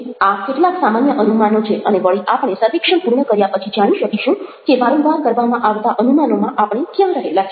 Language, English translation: Gujarati, these are some general assumptions and again we will, after we are completed the survey, find out where we stand in the context of these assumptions that we very often make